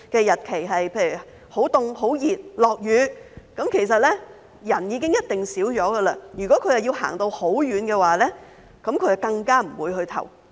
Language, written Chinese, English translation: Cantonese, 如果投票日很冷、很熱或下雨，投票人數一定會減少，如果他們需要走很遠的路，更不會去投票。, If it is cold hot or raining on the polling day the number of voters will definitely decrease and if they have to walk a long way they will not go to vote